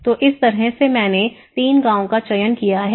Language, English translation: Hindi, So in that way, I have selected three villages